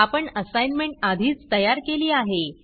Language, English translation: Marathi, I have already created the assignment